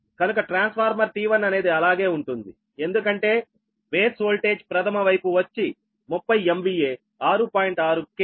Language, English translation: Telugu, so transformer t one will remain same, because base voltage are thirty m v a, six point six k v